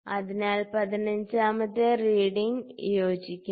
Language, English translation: Malayalam, So, 15th reading is coinciding